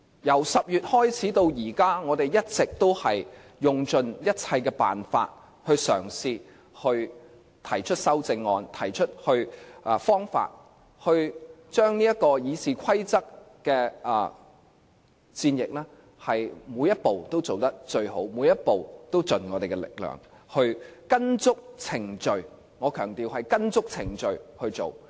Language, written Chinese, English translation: Cantonese, 由10月開始至今，我們一直都用盡一切辦法嘗試提出修正案，將《議事規則》的戰役，每一步都做得最好，每一步都盡我們力量，跟足程序——我強調——是跟足程序去做。, Since October we have tried every means to put forward amendments to RoP . In this war of RoP we take every step to our best ability and exert every effort in the battle in accordance with the procedures